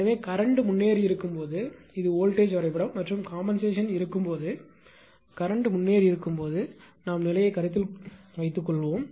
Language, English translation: Tamil, So, this is voltage diagram when the current is leading right and this is when compensation is there; suppose leading current condition when the compensation is there